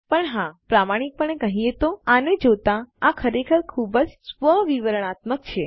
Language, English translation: Gujarati, But yes, to be honest, looking at this, this is really pretty much self explanatory